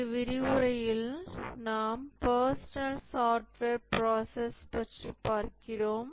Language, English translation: Tamil, In this lecture we will look at the personal software process